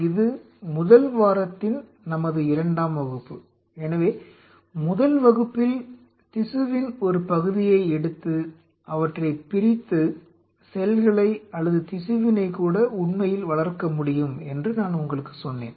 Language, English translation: Tamil, So, in the first class this is our second class of the first week, the first class I told you when we take a part of the tissue and dissociate them and grow the cells outside or even the tissue as a matter fact